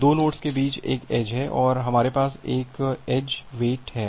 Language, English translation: Hindi, There is an edge between 2 nodes and we have an edge wait